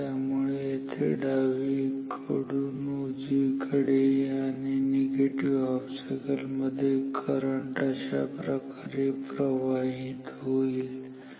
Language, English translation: Marathi, So, here from left to right then in the negative cycle, we would like the current to flow say like this ok